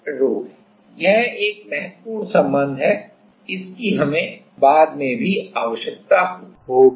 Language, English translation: Hindi, So, this is one important relation, we will need later also